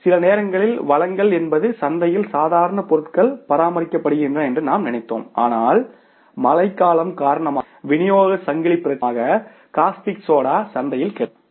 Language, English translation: Tamil, Sometimes supply is a problem, we thought that normal supply is maintained in the market but because of rainy season because of the supply chain problem the castic soda is not available in the market